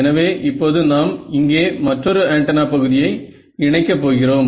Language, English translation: Tamil, So, what we will do is now we will add another antenna element over here ok